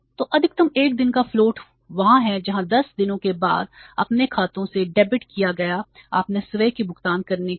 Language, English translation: Hindi, So, maximum is the one day's float is there whereas for making their own payments that was debited from their account after 10 days